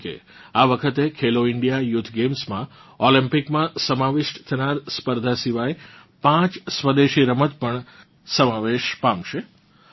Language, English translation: Gujarati, For example, in Khelo India Youth Games, besides disciplines that are in Olympics, five indigenous sports, were also included this time